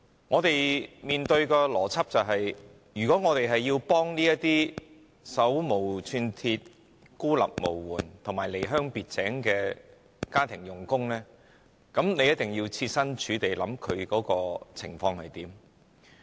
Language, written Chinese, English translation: Cantonese, 我們面對的邏輯是，如果我們要幫助這些手無寸鐵、孤立無援和離鄉別井的家庭傭工，便必須切身處地考慮他們的情況。, The logic we face is that if we wish to help these powerless vulnerable foreign domestic helpers who have left their homeland to work in Hong Kong we must consider their situation by stepping into their shoes